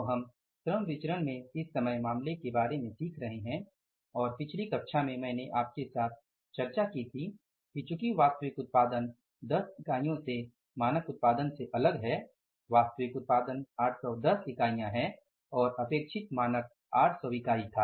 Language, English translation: Hindi, So, we are learning about this composite case in the labor variances and in the previous class I discussed with you that since the actual production is different from the standard production by 10 units, actual output is 810 and the standard expected was 800 units